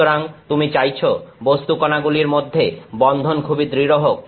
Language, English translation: Bengali, So, you want the bonding between the particles to be very strong